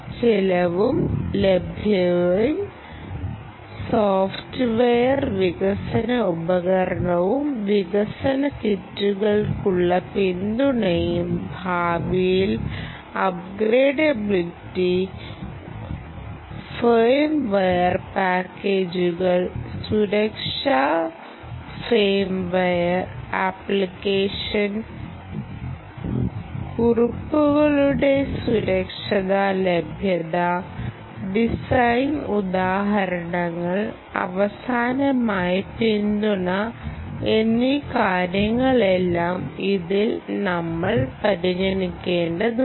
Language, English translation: Malayalam, cost and availability, software development, development tool and support for development kits, right future upgradability, upgradability, firmware packages, firmware packages security, firmware security availability, availability of application notes, application notes, design examples, design examples and lastly, of course, support